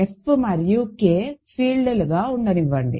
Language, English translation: Telugu, Let F and K be fields